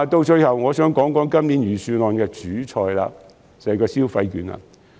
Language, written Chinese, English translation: Cantonese, 最後，我想談今年預算案的"主菜"，即消費券。, Lastly I would like to talk about the main course of this years Budget that is consumption vouchers